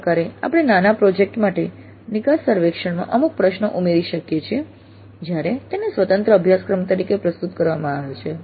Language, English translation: Gujarati, Like this we can add certain questions in the exit survey for a mini project when it is offered as an independent course